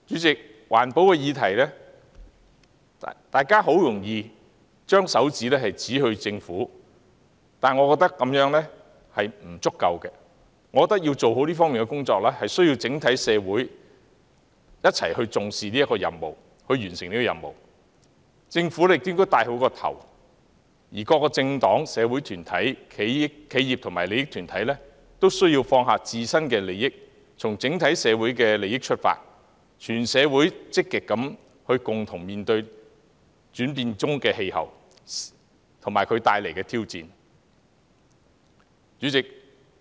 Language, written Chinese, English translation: Cantonese, 在環保議題上，大家很容易便把手指指向政府，我覺得這樣並不足夠，我認為要做好這方面的工作，需要整體社會一起重視、一起完成這任務，政府應做好其主導角色，而各個政黨、社會團體、企業和利益團體均須放下自身利益，從整體社會利益出發，積極共同面對轉變中的氣候及其帶來的挑戰。, I think that is not enough . In order to do a good job in this regard all members of the community need to attach importance to our mission and work together . The Government should play a proper leading role whereas various political parties social groups enterprises and interest groups must set aside their own interests for the good of society as a whole and join hands to actively face a changing climate and the challenges it poses